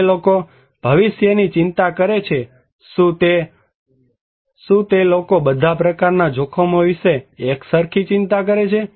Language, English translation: Gujarati, People who worry about the future, do those people worry equally about all kind of risk